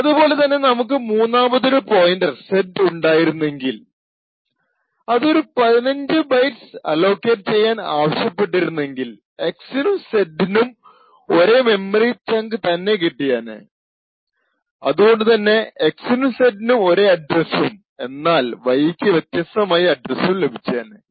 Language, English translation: Malayalam, Similarly if we would have had a third pointer defined and allocated it and requested for just let us say 15 bytes again, we would see that x and z would get the same chunk of memory and would have the same address while y would have a different address